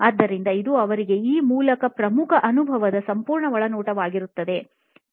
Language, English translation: Kannada, So, this was a key insight for them through this whole experience